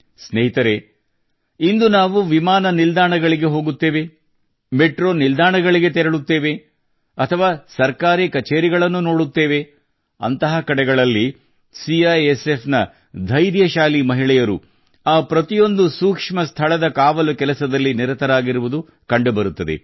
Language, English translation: Kannada, Friends, today when we go to airports, metro stations or see government offices, brave women of CISF are seen guarding every sensitive place